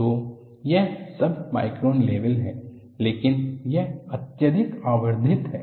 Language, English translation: Hindi, So, this is submicron level, but this is highly magnified